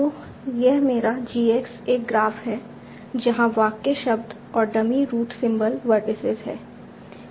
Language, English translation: Hindi, So that is my GX is a graph where the sentence words and the dummy root symbol are the vertices